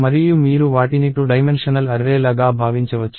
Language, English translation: Telugu, And you can think of them as two dimensional array